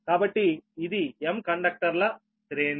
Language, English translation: Telugu, so this is the array of m conductors